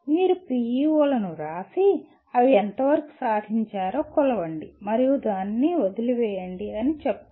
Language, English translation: Telugu, They say you write PEOs and measure to what extent they are attained and leave it at that